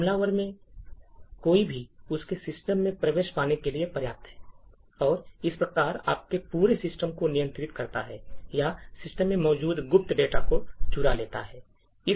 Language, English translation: Hindi, Any one of these is sufficient for the attacker to get access into your system and therefore control your entire system or steal secret data that is present in the system